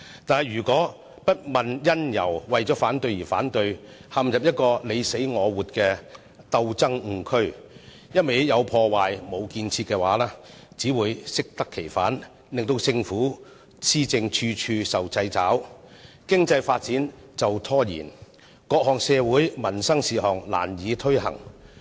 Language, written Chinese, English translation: Cantonese, 但如果不問因由，為反對而反對，陷入"你死我活"的鬥爭誤區，"有破壞，無建設"，只會適得其反，令政府施政處處受掣肘，經濟發展被拖延，各項社會民生事項難以推行。, However if people oppose for no cause but just for the sake of opposition thus dragging everyone into a mortal state of chaos and doing harm rather than help the outcome will only run counter to our desire . It will make every step in the governance of Hong Kong difficult cause delay to our economic development and render it difficult to make social and livelihood improvements